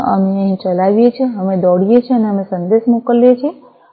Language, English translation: Gujarati, So, we execute over here, we run, and we send a message